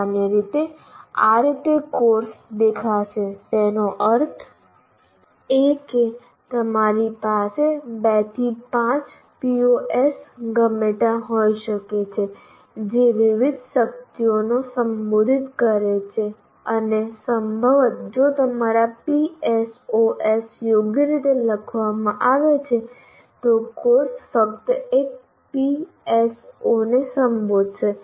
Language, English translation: Gujarati, That means you may have anywhere from 2 to 5 POs addressed to varying strengths and possibly if your PSOs are written right, a course will address only one PSO